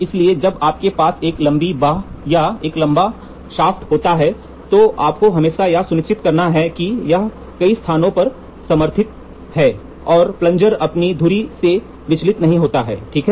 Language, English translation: Hindi, So, when you have a long arm or a long shaft you should always make sure it is supported at several places such that it is guided and the plunger does not deviates from its axis, ok